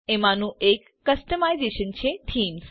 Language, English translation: Gujarati, One of the customisation is Themes